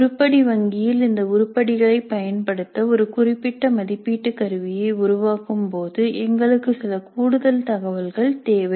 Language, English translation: Tamil, And in order to make use of these items in the item bank while composing in a specific assessment instrument we need some additional information